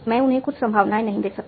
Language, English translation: Hindi, I cannot assign some probabilities to them